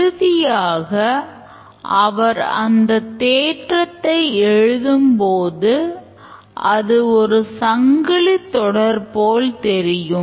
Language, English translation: Tamil, But then when he finally writes his theorem, it appears as if a single chain of thought